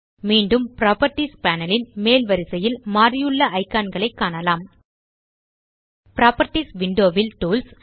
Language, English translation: Tamil, Again, you can see how the icons at the top row of the Properties panel have changed